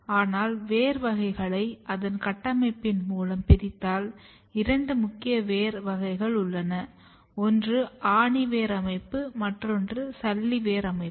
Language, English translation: Tamil, But if you divide the total kind of root types based on the architecture, there are two major root types one is the tap root system another is fibrous root system